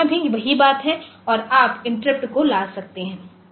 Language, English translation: Hindi, So, here also the same thing you can make the interrupt to occur